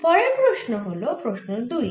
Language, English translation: Bengali, so our next question is question number two